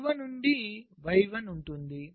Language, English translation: Telugu, at the bottom there is y, one